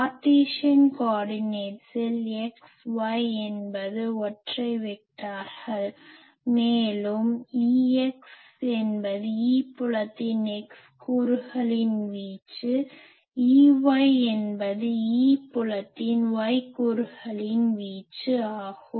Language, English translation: Tamil, In the Cartesian coordinates say x y here unit vectors and E x is the amplitude of the x component of the field, E y is the amplitude of the y component of the field